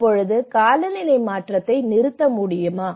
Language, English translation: Tamil, Now, can we stop climate change just as of now